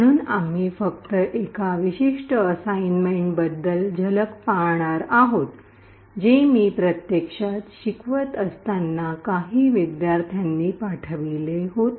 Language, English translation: Marathi, So, we will be just glimpsing about one particular assignment which was submitted by some of the students in the course when I was actually teaching it